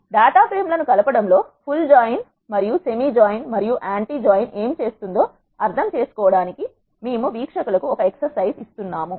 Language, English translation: Telugu, We will leave the audience as an exercise, to understand what full join, semi join and anti join does in combining the data frames